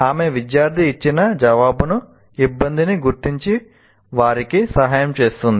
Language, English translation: Telugu, And she uses the answer given by the student to diagnose the difficulty and help them